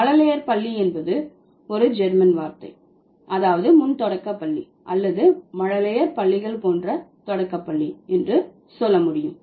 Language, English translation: Tamil, Kindergarten is a German word that means primary school, like the pre primary schools or nursery schools you can say